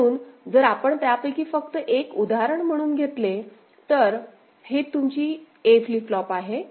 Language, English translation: Marathi, So, if you just take one of them as the example; so, this is your A flip flop right